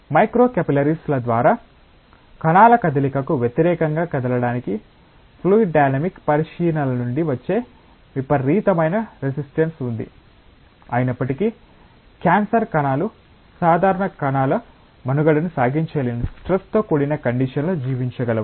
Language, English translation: Telugu, And there is a tremendous resistance that comes from fluid dynamic considerations for moving against moving of cells through micro capillaries, despite that cancer cells are able to survive under that stressful condition where normal cells are not able to survive